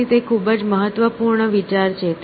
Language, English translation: Gujarati, So, it is a very significant idea